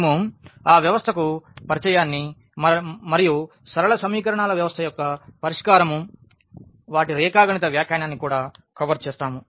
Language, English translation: Telugu, So, we will be covering the introduction to the system and also the solution of the system of linear equations and their geometrical interpretation